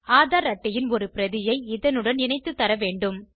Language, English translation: Tamil, It should be supported by a copy of the AADHAAR card